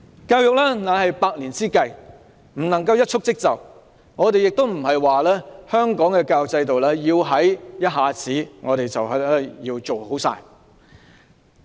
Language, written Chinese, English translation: Cantonese, 教育是百年之計，不能一蹴即就，我們並非要求香港的教育制度問題一下子獲得解決。, Education is a hundred - year plan that cannot be accomplished at a single stroke . We are not asking the Government to solve all education problems in Hong Kong in an instant but past problems were very serious